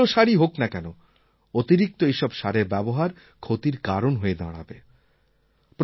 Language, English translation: Bengali, No matter how good fertilisers may be, if we use them beyond a limit they will become the cause of ruination